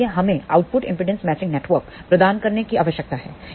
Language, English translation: Hindi, So, we need to provide output impedance matching network